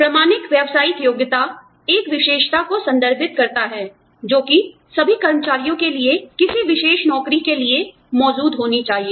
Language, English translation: Hindi, Bona fide occupational qualification, refers to a characteristic, that must be present for, in all employees, for a particular job